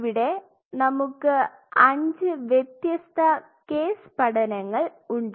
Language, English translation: Malayalam, So, we have 5 different case studies